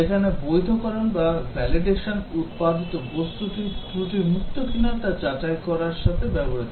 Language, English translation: Bengali, Whereas validation is concerned with ensuring that the product is error free